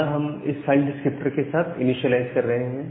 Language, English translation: Hindi, So, we are initializing with this read file descriptors